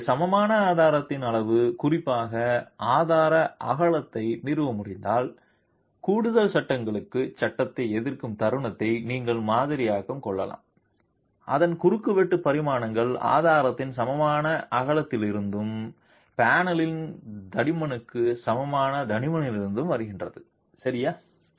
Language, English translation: Tamil, So, if the size of the equivalent strut, particularly the width of the strut, can be established, then you can model the momentary assisting frame with additional braces whose cross sectional dimensions come from the equivalent width of the strut and the thickness equal to the thickness of the panel itself